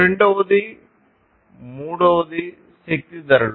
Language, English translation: Telugu, The second, the third one is the energy prices